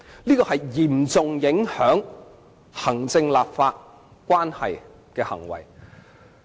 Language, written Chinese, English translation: Cantonese, 這是嚴重影響行政立法關係的行為。, This has severely affected the relationship between the executive and the legislature